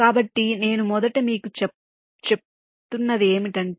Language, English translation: Telugu, so ah, let me just tell you first